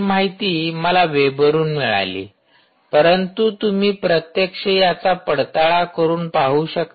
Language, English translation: Marathi, this is information i got from the web, but you can actually experiment this and try to find out yourself